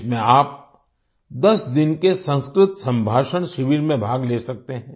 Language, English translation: Hindi, In this you can participate in a 10 day 'Sanskrit Conversation Camp'